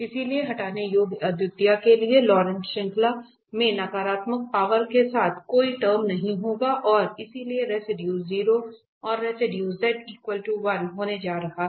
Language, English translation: Hindi, So, removable singularity there will be no term with having negative powers in the Laurent series and therefore, the residue is going to be 0 and the residue at z is equal to 1